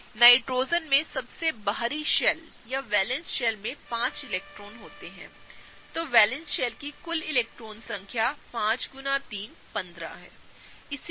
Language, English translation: Hindi, Nitrogen has 5 electrons in the outermost shell or the valence shell, so the total number of valence electrons is 5 into 3 that is 15, right